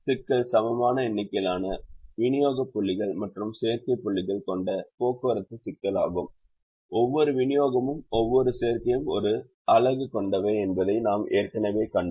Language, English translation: Tamil, we have already seen that the problem is a transportation problem with an equal number of supply points and demand points, and each supply and each demand having one unit